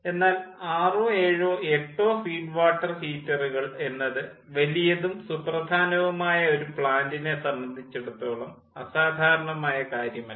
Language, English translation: Malayalam, but six, seven, eight number of feed water heaters are not uncommon in case of a large important